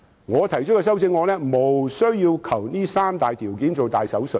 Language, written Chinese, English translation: Cantonese, 我提出的修正案無須為這三大條件動大手術。, My amendment shows that it is not necessary to introduce drastic changes to these three major criteria